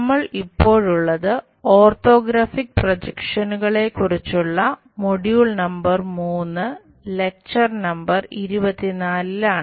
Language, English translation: Malayalam, We are in module number 3, lecture number 24 on Orthographic Projections